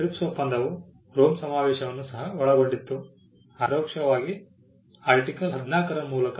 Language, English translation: Kannada, The TRIPS agreement also incorporated the Rome convention, but indirectly through Article 14